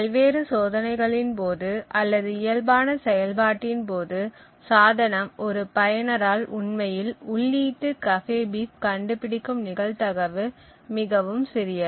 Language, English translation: Tamil, Thus, during testing or during various tests or during normal operation of this device the probability that a user actually finds an input cafebeef is extremely small